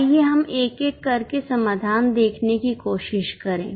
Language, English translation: Hindi, Let us try to look at solution one by one